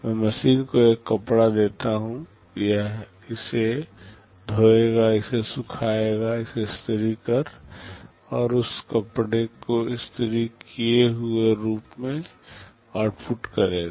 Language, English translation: Hindi, I give the machine a cloth, it will wash it, dry it, iron it, and output that cloth in the ironed form